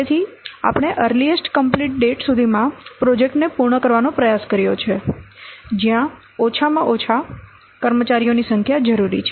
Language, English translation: Gujarati, So, we have tried to complete the project by the earliest completion date where a minimum number of staff is required